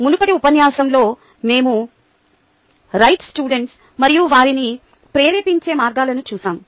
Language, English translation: Telugu, in the previous lecture we looked at the right students and ah ways of motivating them